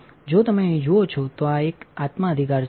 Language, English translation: Gujarati, If you see here this one is a source right